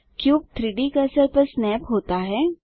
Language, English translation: Hindi, The cube snaps to the 3D cursor